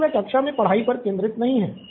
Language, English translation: Hindi, But he is not focused on the class